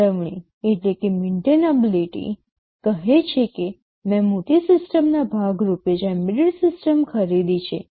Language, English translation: Gujarati, Maintainability says that I have already purchased an embedded system as part of a larger system